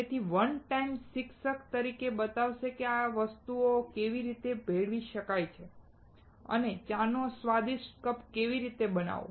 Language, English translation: Gujarati, So, one time teacher will show you, how to mix these things together and make a delicious cup of tea